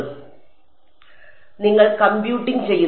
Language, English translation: Malayalam, So, you are computing